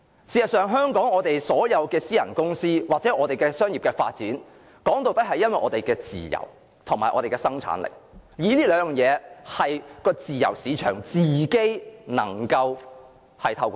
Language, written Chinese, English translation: Cantonese, 事實上，香港的私人公司或商業機構，說到底是建基於我們的自由和生產力，而這兩項事物是經由自由市場自己調節的。, In fact Hong Kongs private companies or commercial establishments are in the final analysis built upon our freedoms and productivity which are adjusted by the free market itself